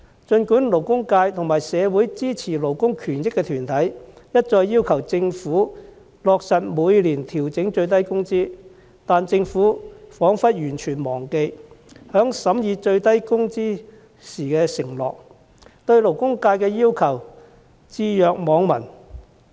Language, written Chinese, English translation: Cantonese, 儘管勞工界和社會支持勞工權益的團體一再要求政府落實每年調整最低工資，但政府彷彿完全忘記在審議最低工資時的承諾，對勞工界的要求置若罔聞。, Despite repeated calls from the labour sector and pro - labour rights groups in society for the Governments implementation of an annual adjustment of the minimum wage the Government seems to have totally forgotten the promise it made during the scrutiny of the minimum wage and pays no heed to the demand of the labour sector